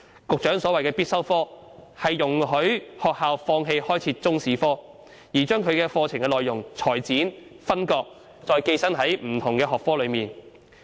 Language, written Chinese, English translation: Cantonese, 局長所謂的必修科，是容許學校放棄開設中史科，而將其課程內容裁剪、分割，再寄生於其他學科中。, The compulsory subject referred to by the Secretary allows schools to give up offering Chinese History as a subject but instead to have its curriculum contents cut divided and attached parasitically to other subjects